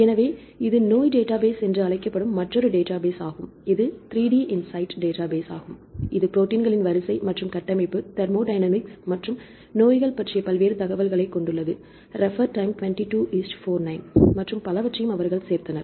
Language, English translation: Tamil, So, this is another database called disease database right this is the 3DinSight database which contains the various information regarding the proteins sequence and structure, thermodynamics and diseases and so on they also added some of the information regarding the diseases